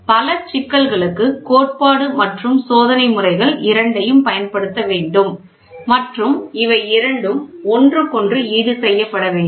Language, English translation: Tamil, Many problems require the application of both methods and theory and experiment should be thought of as a complimentary to each other